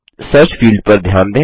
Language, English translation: Hindi, Notice, the Search field